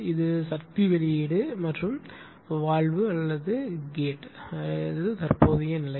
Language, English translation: Tamil, And this is the power output and or you are writing valve or gate position listen